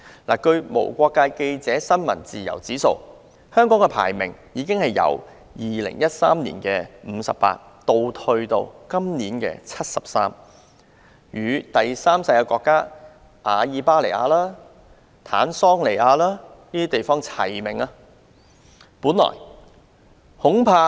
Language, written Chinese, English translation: Cantonese, 根據無國界記者公布最新的世界新聞自由指數，香港的排名由2013年的第五十八位，下跌至今年的第七十三位，與阿爾巴尼亞、坦桑尼亞等第三世界國家看齊。, In the latest World Press Freedom Index published by Reporters Without Borders the ranking of Hong Kong has fallen from the 58 in 2013 to the 73 this year more or less on a par with third - world countries such as Albania and Tanzania